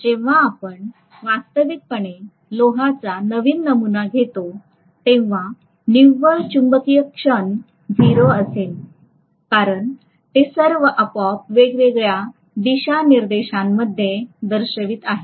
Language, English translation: Marathi, So when you actually take a new sample of iron, the net magnetic moment is going to be 0 because all of them are arbitrarily pointing in all different directions